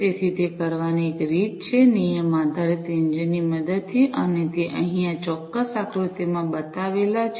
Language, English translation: Gujarati, So, one of the ways to do it is with the help of a rule based engine and this is shown over here in this particular figure